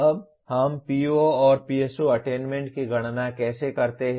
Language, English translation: Hindi, Now how do we compute the PO/PSO attainment